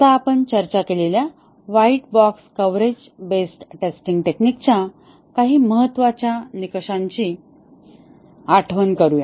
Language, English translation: Marathi, Now, let us recollect some important aspects of the white box coverage based testing technique that we had discussed